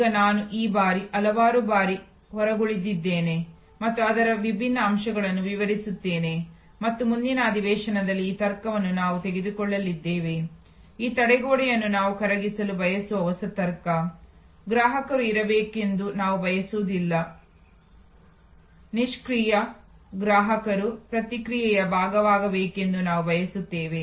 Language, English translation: Kannada, Now, I have a leaved to this number of times and explain different aspects of it and we are going to take up in the next session this logic, the new logic where we want to dissolve this barrier, we do not want the customer to be passive, we want the customer to be part of the process